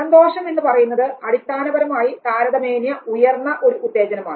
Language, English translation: Malayalam, Happiness for instance now happiness is basically a moderately higher stimulation